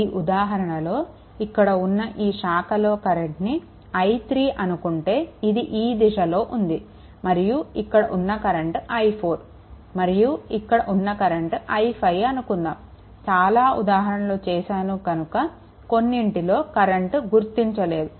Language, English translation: Telugu, For example suppose if this branch current is i 3 see I am taking in this direction, and this current say i 4 right and this this current say if we take i 5 for example, right because later because so, many examples we have solved